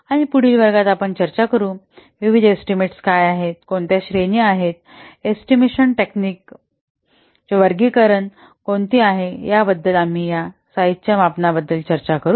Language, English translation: Marathi, And in the next class we will discuss what are the various estimation, what are the categories of what are the taxonomy for the estimation techniques